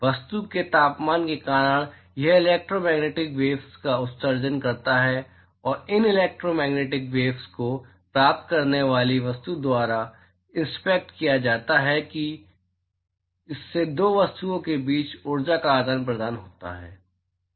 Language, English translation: Hindi, Because of the temperature of the object it emits electromagnetic waves and these electromagnetic waves are intercepted by the receiving object and that causes exchange of energy between 2 objects